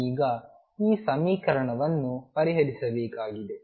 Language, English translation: Kannada, So now, this equation is to be solved